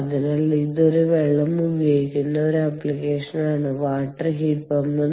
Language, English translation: Malayalam, ok, and this one is an example of water water heat pump